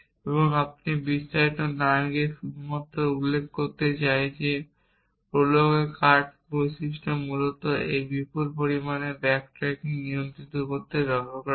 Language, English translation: Bengali, And you have without going to the details I just want to point out that the cut feature of prolog is basically use to control this huge amount of back tracking that one doing in an unconstraint search